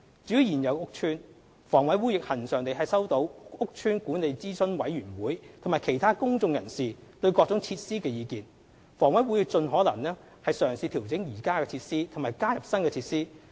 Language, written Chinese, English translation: Cantonese, 至於現有屋邨，房委會亦恆常地收到屋邨管理諮詢委員會及其他公眾人士對各種設施的意見，房委會會盡可能嘗試調整現有設施及加入新設施。, For existing estates HA regularly receives opinions on various facilities from Estate Management Advisory Committees and other members of the public . HA would try to adjust existing facilities or add new facilities as far as practicable